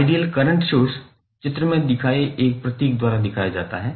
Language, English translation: Hindi, Ideal current source is represented by this symbol